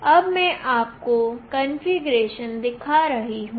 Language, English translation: Hindi, Now I will be showing you the configuration